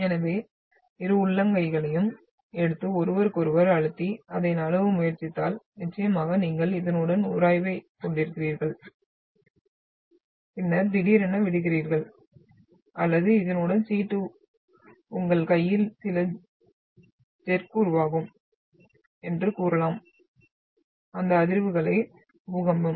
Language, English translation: Tamil, So if you can take your both the palms and try to press towards each other and try to slip it, so of course you are having friction along this and then sudden release or you can say the slip along this will produce some jerks in your hand and those vibrations is your earthquake